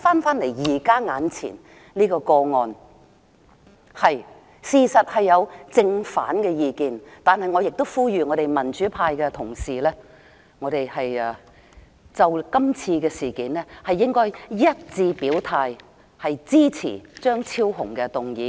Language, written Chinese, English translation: Cantonese, 回到現在眼前這個個案，民主派對此事雖有正反意見，但我亦呼籲我們民主派的同事就今次事件一致表態，支持張超雄議員的議案。, This is a major regret of mine . Let us come back to the present case . While there are contrasting viewpoints within the democratic camp I call upon colleagues in the democratic camp to take a unanimous position on this matter by supporting Dr Fernando CHEUNGs motion